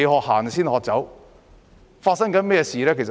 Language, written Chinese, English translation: Cantonese, 香港正在發生甚麼事呢？, What is happening in Hong Kong?